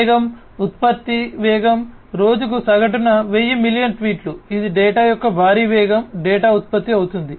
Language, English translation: Telugu, Velocity, speed of generation, 100s of millions of tweets per day on average that is you know, huge velocity of data coming in, data getting generated